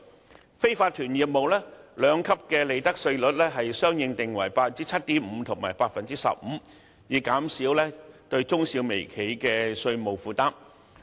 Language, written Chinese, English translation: Cantonese, 至於非法團業務，兩級利得稅稅率相應定為 7.5% 和 15%， 以減輕中小微企的稅務負擔。, As for unincorporated businesses the two - tiered profits tax rates will correspondingly be set at 7.5 % and 15 % . The aim of the measure is to alleviate the tax burdens of medium small and micro enterprises